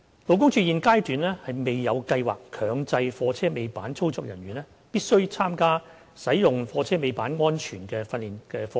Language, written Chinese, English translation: Cantonese, 勞工處現階段未有計劃強制貨車尾板操作人員必須參加使用貨車尾板安全訓練課程。, At this stage LD has no plan to mandate tail lift operators to attend training courses on safe operation of tail lifts